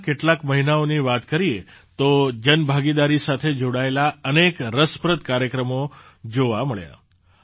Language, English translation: Gujarati, If we talk about just the first few months, we got to see many interesting programs related to public participation